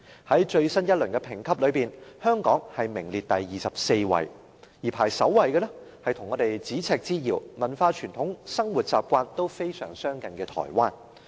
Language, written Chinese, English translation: Cantonese, 在最新一輪評級之中，香港名列第二十四位，而排名首位的是跟我們咫尺之遙、文化傳統和生活習慣均非常相近的台灣。, In the most recent assessment Hong Kong ranked 24while Taiwan a nearby place which shares similar cultures traditions and living habits with us ranked first